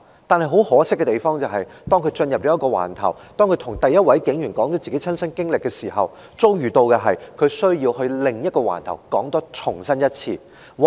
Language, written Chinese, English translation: Cantonese, 但是，很可惜的是，當他進入一個警區警署，向第一位警員說出親身經歷後，其遭遇往往是他要到另一個警區把事件再說一次。, It is simply unfortunate that after they have recounted their own experience to the police officer they first met in the police station of a police district they need to go to another police district to do the same thing again